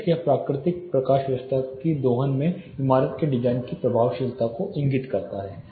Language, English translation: Hindi, Of course, it indicates the effectiveness of building design in harvesting or harnessing natural lighting